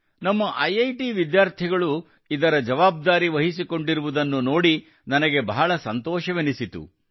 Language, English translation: Kannada, I loved seeing this; our IIT's students have also taken over its command